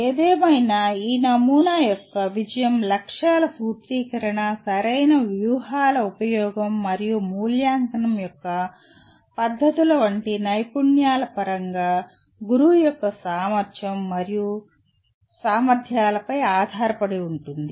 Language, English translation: Telugu, However, the success of this model depends on the competency and ability of the teacher in terms of skills like the formulation of objectives, use of proper strategies and techniques of evaluation